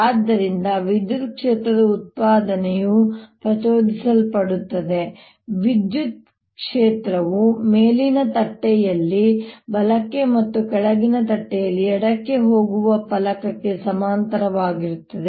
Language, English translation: Kannada, electric field is going to be like parallel to the plate, going to the right on the upper plate and going to the left on the lower plate